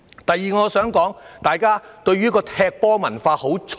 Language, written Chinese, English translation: Cantonese, 第二，我想說，大家的"踢球文化"很重。, Secondly I would like to say that we have an intense buck - passing culture